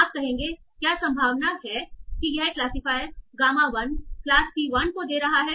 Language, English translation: Hindi, You will say what is the probability that this classifier gamma 1 is giving to class C1